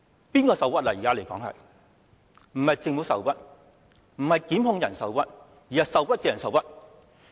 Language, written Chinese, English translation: Cantonese, 不是政府受屈，不是檢控人受屈，而是外傭受屈。, Not the Government or the prosecution but foreign domestic helpers